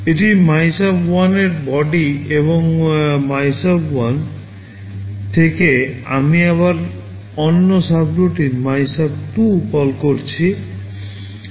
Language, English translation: Bengali, This is the body of MYSUB1 and from MYSUB1, I am again calling another subroutine MYSUB2